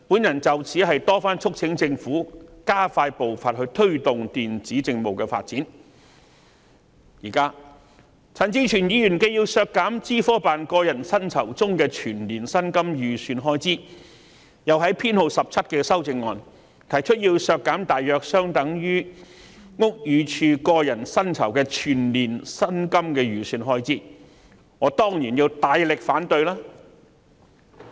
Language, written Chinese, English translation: Cantonese, 有見及此，我曾多番促請政府加快步伐，推動電子政務的發展，但陳志全議員現時既要削減資科辦個人薪酬中的全年薪金預算開支，又在第17號修正案中，提出削減大約相當於屋宇署個人薪酬的全年薪金預算開支，我當然要大力反對。, In view of this I have repeatedly urged the Government to speed up the pace of promoting the development of e - Government services . Yet Mr CHAN Chi - chuen has now proposed to reduce the estimated expenditure on the annual personal emoluments for OGCIO . He has also proposed in Amendment No